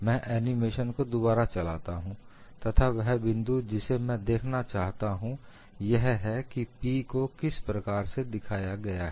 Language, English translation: Hindi, I will redo the animation, the points which I want to look at is, how P has been shown